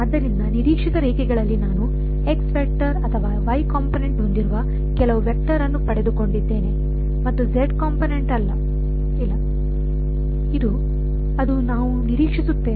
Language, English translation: Kannada, So, on expected lines I have got some vector with a x component or y component and no z component right, that is what we expect